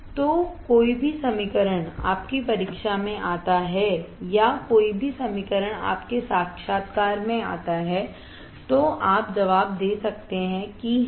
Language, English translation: Hindi, So, any equation comes in your exam or any equation comes in your interview, then you can answer, that yes